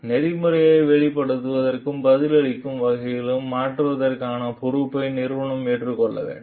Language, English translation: Tamil, The organization must accept the responsibility to change in response to what the process reveals